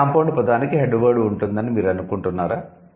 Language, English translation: Telugu, So, do you think each of the compound word would have a head word